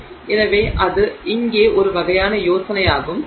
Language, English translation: Tamil, So, that is sort of the idea here and that is what it is